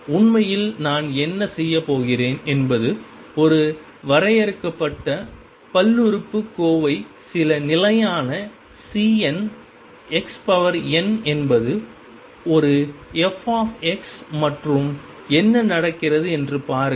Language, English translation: Tamil, In fact, what I am going to do is a f x as a finite polynomial some constant C n x raised to n and see what happens